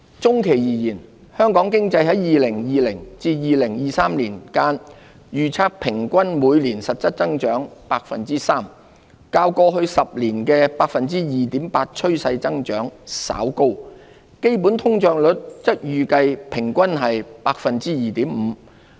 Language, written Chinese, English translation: Cantonese, 中期而言，香港經濟在2020年至2023年間，預測平均每年實質增長 3%， 較過去10年 2.8% 的趨勢增長稍高，基本通脹率則預計平均為 2.5%。, For the medium term the average growth rate is forecast to be 3 % per annum in real terms from 2020 to 2023 slightly higher than the trend growth of 2.8 % over the past decade while the underlying inflation rate is expected to average 2.5 % per annum